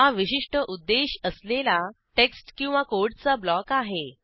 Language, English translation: Marathi, * It is a special purpose block of text or code